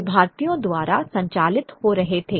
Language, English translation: Hindi, They were operated by Indians